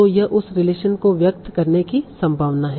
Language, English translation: Hindi, So, yeah, this is likely to express that relation